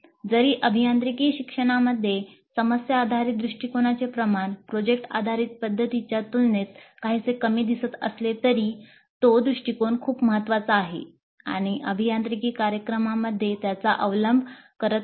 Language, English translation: Marathi, Though the prevalence of problem based approach in engineering education seems to be somewhat less compared to product based approach, still that approach is also very important and it is gaining in its adoption in engineering programs